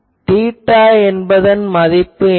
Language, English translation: Tamil, So, what is the value of theta n